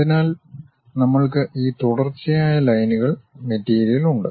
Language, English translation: Malayalam, So, we have this continuous lines material